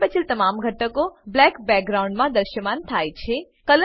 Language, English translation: Gujarati, Rest all elements appear in black background